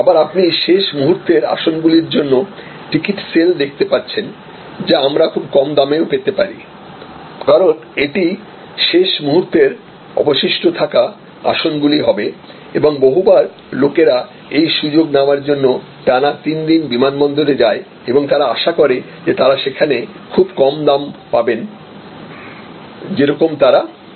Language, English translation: Bengali, And again you see late sales for the last minutes seats that can also we at a very low price, because here the capacity is in determinant it will be the seats left out of the last minute and, so many times people take this stand by opportunity we may go to the airport 3 days consecutively and want particular they there will get that very low price see that there looking for